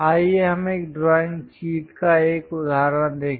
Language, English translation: Hindi, Let us look at an example of a drawing sheet